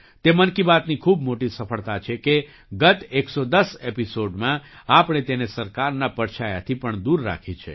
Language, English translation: Gujarati, It is a huge success of 'Mann Ki Baat' that in the last 110 episodes, we have kept it away from even the shadow of the government